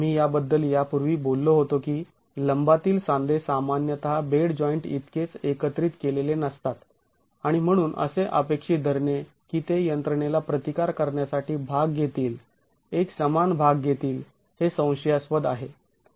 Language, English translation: Marathi, We've talked about this earlier that the perpent joints are typically not as well consolidated as the bed joints and so expecting that to be a participating uniformly participating resisting mechanism is questionable